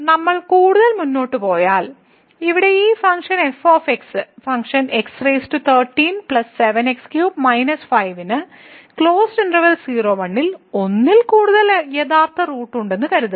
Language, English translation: Malayalam, So, if we move further suppose that this this function here x power 13 plus 7 x minus 5 has more than one real root in [0, 1]